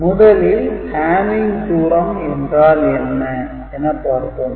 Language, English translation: Tamil, So, first we look at what is hamming distance